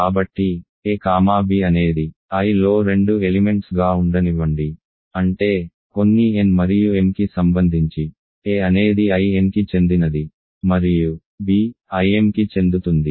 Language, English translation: Telugu, So, let a comma b be two elements in i; that means, a belongs to I n and b belongs to I m for some n and m right